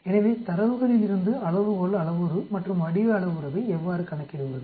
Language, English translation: Tamil, So from the data how do I calculate the scale parameter and the shape parameter that is the question actually